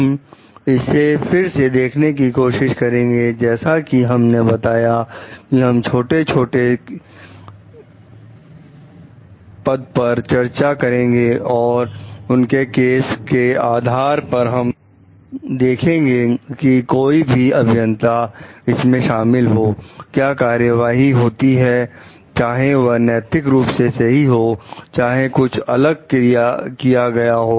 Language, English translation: Hindi, We will try to look at it from again as we told like we will be discussing small cases and with respect to the cases we will see whoever is the engineer involved in it then what are the actions taken whether it was ethically correct whether something different could be done